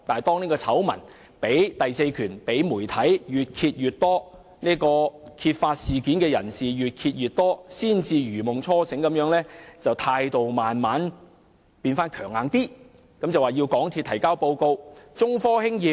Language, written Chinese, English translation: Cantonese, 當醜聞被第四權和揭發事件的人士越揭越多，陳局長才如夢初醒地以較強硬的態度要求港鐵公司提交報告。, It was only after more and more details of the scandal had been revealed by the fourth estate and the informants that the Secretary woke up to reality and adopted a tougher stance in demanding a report from MTRCL